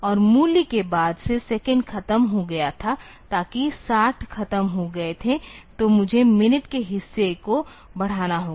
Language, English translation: Hindi, And since the value; the second was over, so that 60 was over; so, I need to increment the minute part